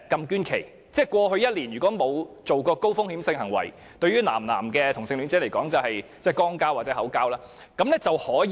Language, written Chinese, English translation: Cantonese, 換言之，如過去1年沒有進行高風險性行為，對男同性戀者而言亦即肛交或口交，那便可以捐血。, This means that if a male homosexual has never engaged in any high - risk sexual acts such as buggery and fellatio over the previous one year he will be allowed to donate blood